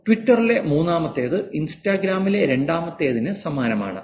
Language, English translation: Malayalam, Fifth in Twitter is very similar to the third in Instagram